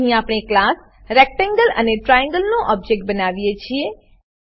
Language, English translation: Gujarati, Here we create objects of class Rectangle and Triangle